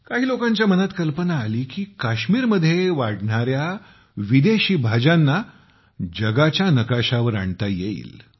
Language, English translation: Marathi, Some people got the idea… why not bring the exotic vegetables grown in Kashmir onto the world map